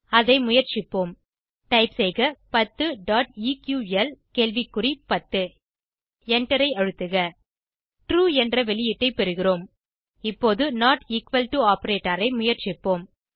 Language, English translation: Tamil, Lets try it out Now type 10 .eql.10 and Press Enter We get the output as true Now lets try not equal to operator